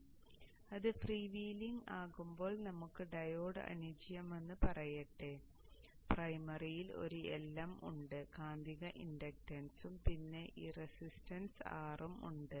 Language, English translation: Malayalam, Now this, the is freewheeling, let us the diode is ideal, there is a L in the primary, the magnetizing inductance and this resistance R